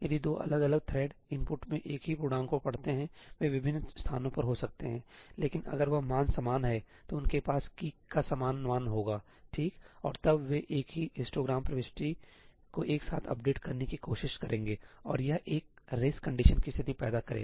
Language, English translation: Hindi, If two different threads read the same integer in the input they may be at different locations, but if that value is same then they will have the same value of key, right and then they will go and try to update the same histogram entry together and that will cause a race condition